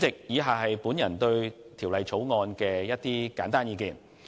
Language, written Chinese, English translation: Cantonese, 以下簡述我對《條例草案》的意見。, The following is a brief account of my views on the Bill